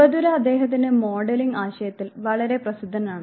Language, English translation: Malayalam, Bandura is very famous of his modelling concept